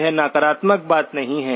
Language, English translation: Hindi, It is not a negative thing